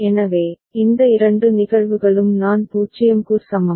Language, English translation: Tamil, So, these two cases I is equal to 0